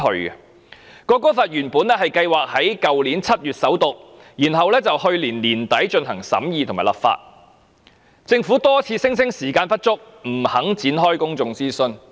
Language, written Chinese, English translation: Cantonese, 原本《國歌條例草案》計劃在去年7月首讀，然後在去年年底進行審議和立法，但政府多次聲稱時間不足，不願意展開公眾諮詢。, Originally the National Anthem Bill was planned to undergo First Reading in July last year and then scrutiny and enactment at the end of last year but the Government was reluctant to conduct public consultation claiming repeatedly that there was insufficient time to do so